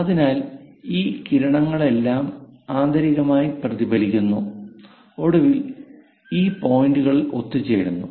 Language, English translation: Malayalam, So, all these rays internally reflected, finally converge at this points